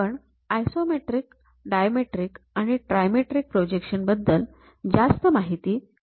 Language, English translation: Marathi, We will see more about these isometric, dimetric, trimetric projections later